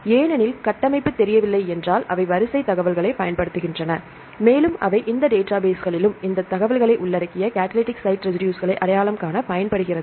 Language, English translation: Tamil, Because if the structure is not known they use the sequence information and identify the catalytic site residues they included that information also in this database